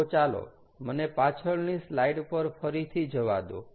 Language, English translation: Gujarati, ok, so let me go back to the previous slide again